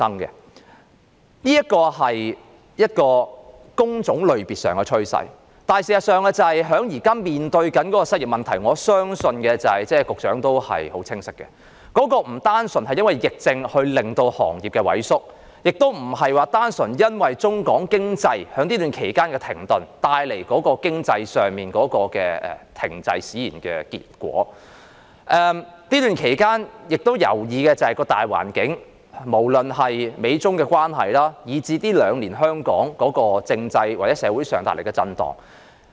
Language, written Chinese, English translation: Cantonese, 這是工種類別上的趨勢，事實上，我相信局長也很清楚，我們現時面對的失業問題，並不單純因為疫情令行業萎縮，亦不單純是中港經濟在這段期間停頓而帶來經濟停滯的結果，還關乎這段期間的大環境，不論是美中關係，以至是香港近兩年在政制或社會上的震盪。, This is the development trend in job types . In fact I believe the Secretary knows very well that the unemployment problem we are now facing should neither be attributed purely to the contraction of trades and industries caused by the epidemic nor the economic doldrums resulting from the standstill in economic activities between Mainland and Hong Kong during the period . It is also related to the general environment during this period of time including the China - US relationship as well as the constitutional or social turmoil in Hong Kong in the past two years